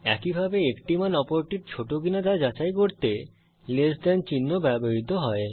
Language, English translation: Bengali, Similarly, less than symbol is used to check if one value is less than the other